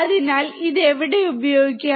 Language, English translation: Malayalam, So, where can it be used